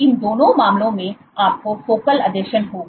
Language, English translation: Hindi, Both these cases you have focal adhesions